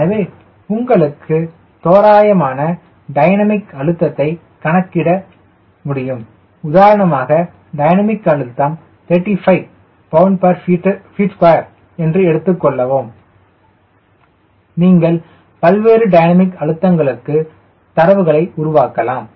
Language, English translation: Tamil, so you have enough idea of what sort of dynamic pressure because you are going to fly and lets say that pressure is thirty five pound per feet square, you can generate numbers for various dynamic pressure